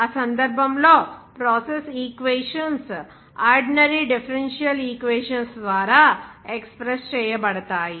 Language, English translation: Telugu, ) In that case, process equations are expressed by ordinary differential equations